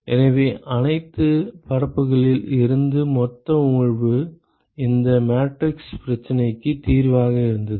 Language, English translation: Tamil, So, the total emission from all the surfaces was just the solution of this matrix problem right